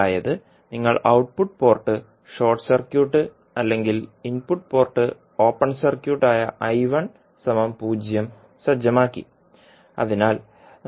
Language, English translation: Malayalam, That means you set the output port short circuit or I1 is equal to 0 that is input port open circuit